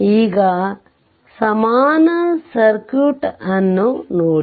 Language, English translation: Kannada, Now, look at the equivalent circuit